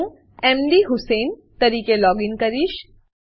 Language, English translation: Gujarati, I will login as mdhusein